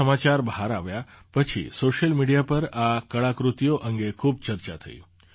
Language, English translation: Gujarati, After this news came to the fore, there was a lot of discussion on social media about these artefacts